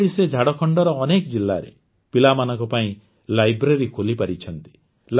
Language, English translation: Odia, While doing this, he has opened libraries for children in many districts of Jharkhand